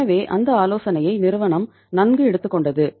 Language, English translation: Tamil, So that suggestion was well taken by the company